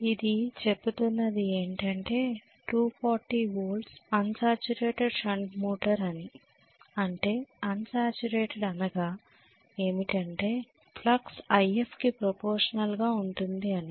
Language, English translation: Telugu, It says 240 volts unsaturated shunt motor that means unsaturated essentially means the flux is going to be proportional to IF that is what it means